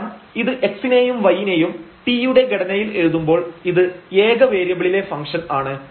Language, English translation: Malayalam, So, therefore, we have defined this as function of t, function of one variable